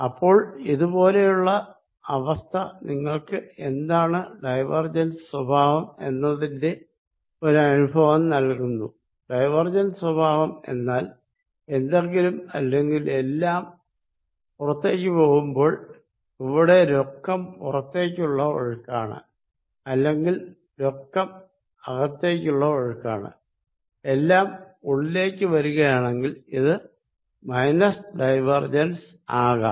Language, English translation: Malayalam, So, this kind of gives you a feel for what diversion behaviour is, divergence behaviour is going to be when something everything is going out or there is a net outflow or there is a net inflow this negative divergence or something going in